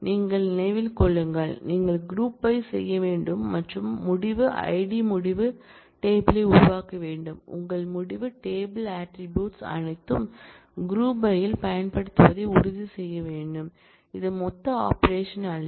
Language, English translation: Tamil, Mind you, you will have to do group by and create the result id result table you will have to make sure that, all your result table attribute are used in the group by, which is not an aggregate function